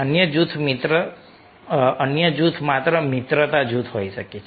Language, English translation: Gujarati, another group might be just friendship group